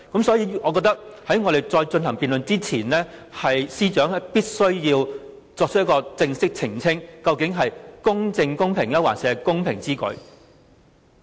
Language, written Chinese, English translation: Cantonese, 所以，我認為在繼續辯論之前，司長必須正式澄清，究竟是"公正公平之舉"，還是"公平之舉"？, Therefore I think Secretary for Justice is obliged to clarify whether it is just and equitable to do so or it is equitable to do so is the correct version before we can continue with the debate